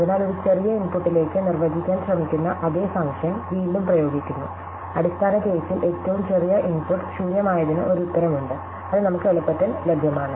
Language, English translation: Malayalam, So, again we are applying the same function that we are trying to define to a smaller input and in the base case, the smallest input, namely the empty one,, we have an answer which is readily available to us